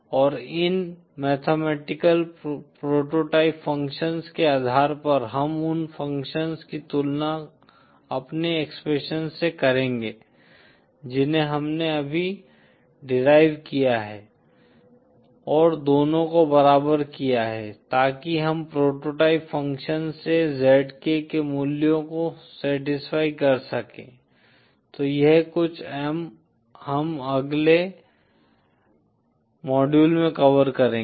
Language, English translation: Hindi, And based on these mathematical prototype functions we will be comparing those functions with our expressions that we have just derived & equating the 2 so that we can satisfy the values of the zk from the prototype function, so that is something we will cover in the next module